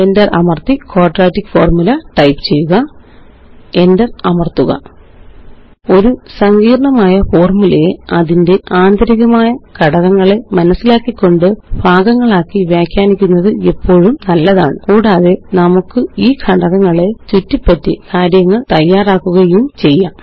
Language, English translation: Malayalam, Press Enter and type Quadratic Formula: .Press Enter It is always a good practice to break down a complex formula by starting with the inner most elements of the formula first And then we can work our way around these elements